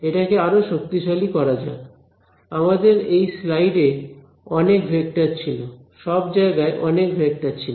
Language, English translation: Bengali, So, let us let us just make it concrete we had a lot of vectors in a in this slide we had a lot of vectors everywhere